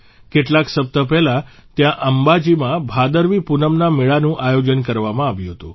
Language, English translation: Gujarati, A few weeks ago, 'BhadaraviPoonam Fair' was organized atAmbaji